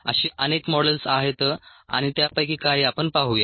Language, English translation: Marathi, there are many such models and ah, we will see some of them